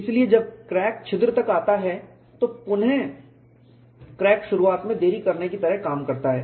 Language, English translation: Hindi, So, when the crack comes to a hole, the hole acts like a delay in rickrack initiation